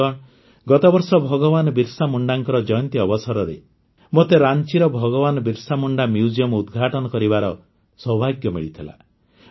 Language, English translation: Odia, Friends, Last year on the occasion of the birth anniversary of Bhagwan Birsa Munda, I had the privilege of inaugurating the Bhagwan Birsa Munda Museum in Ranchi